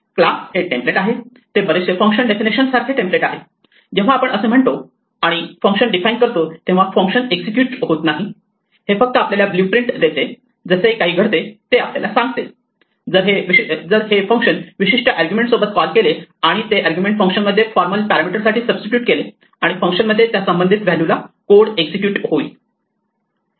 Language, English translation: Marathi, A class is a template very much like a function definition is a template, when we say def and define a function the function does not execute it just gives us a blue print saying that this is what would happen if this function were called with a particular argument and that argument to be substituted for the formal parameter in the function and the code in the function will be execute to the corresponding value